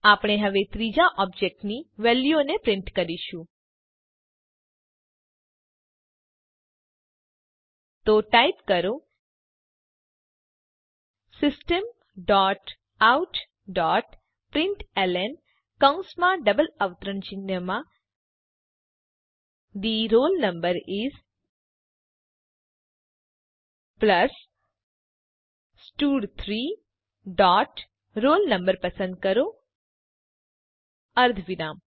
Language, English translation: Gujarati, We will now, print the values of the third object So type System dot out dot println within brackets and double quotes The roll no is, plus stud3 dot select roll no semicolon